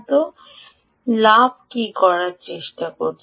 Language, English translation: Bengali, so what is the gain trying to do